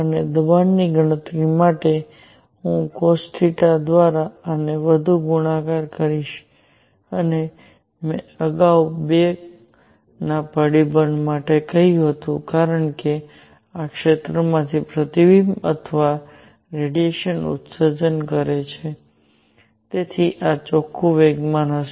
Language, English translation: Gujarati, And for pressure calculation, I will further multiply this by cosine of theta and as I said earlier a factor of two because either the reflection or radiation emission from this area; so this would be the net momentum